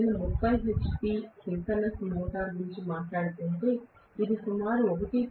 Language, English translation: Telugu, If I am talking about the 30 hp synchronous motor, it will be greater than about 1